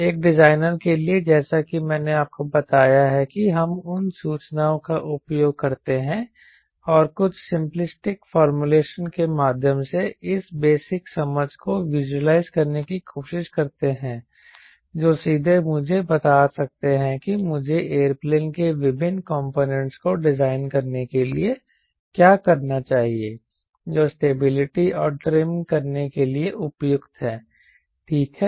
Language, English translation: Hindi, for a designer, as i have told you, we use those information and try to visualize this basic understanding troughs some simplistic formulation which can directly tell, tell me what i should do as per as designing the various components of aeroplane which your amount into stability and trim right